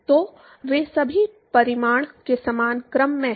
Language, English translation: Hindi, So, all of them are of same order of magnitude